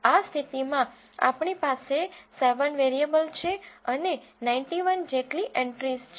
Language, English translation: Gujarati, In this case we have 7 variables and around 91 entries